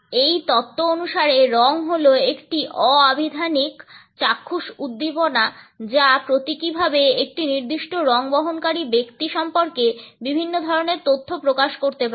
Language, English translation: Bengali, According to this theory, color is a non lexical visual stimulus that can symbolically convey various types of information about the person who is carrying a particular color